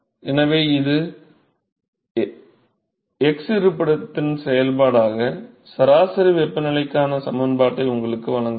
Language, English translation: Tamil, So, that gives you the expression for the mean temperature as a function of x location